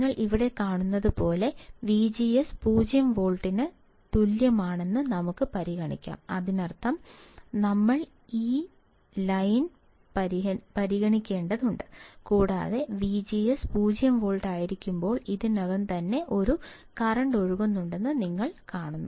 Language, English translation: Malayalam, As you see here let us consider V G S equals to 0 volt; that means, we have to consider this line and you see here there is a current already flowing right in case when V G S is 0 volt